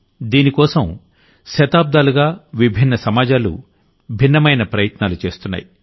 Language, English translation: Telugu, For this, different societies have madevarious efforts continuously for centuries